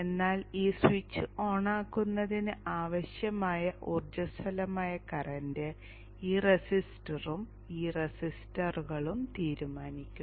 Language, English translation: Malayalam, But then the energizing current that is needed for turning on this switch is decided by this resistor and these resistors